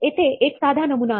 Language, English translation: Marathi, Here is a simple prototype